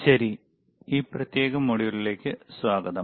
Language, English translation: Malayalam, All right, welcome to this particular module